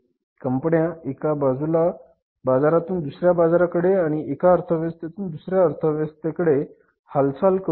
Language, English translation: Marathi, Companies started moving from the one market to another market, one economy to the another economy